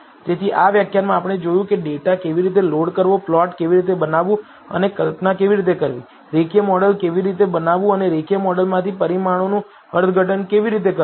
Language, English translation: Gujarati, So, in this lecture we saw how to load a data, how to plot and how to visualize, how to build a linear model and how to interpret the results from the linear model